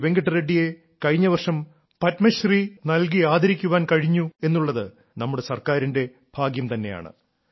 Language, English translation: Malayalam, Our Government is fortunate that Venkat Reddy was also honoured with the Padmashree last year